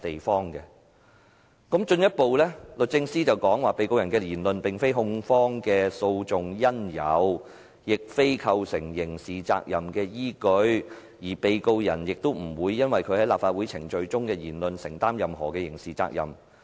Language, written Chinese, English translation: Cantonese, 律政司進一步指被告人的言論並非控方的訴訟因由，亦非構成刑事責任的依據，而被告人也不會就其在立法會會議程序中的言論承擔任何刑事責任。, DoJ further points out that the words said by the Defendant are not the cause of prosecution action or the foundation of criminality liability and the Defendant is not exposed to any criminal liability in respect of what he said in Legislative Council proceedings